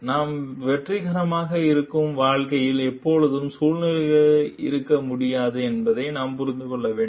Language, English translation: Tamil, See we have to understand like there cannot be situations always in life where we are successful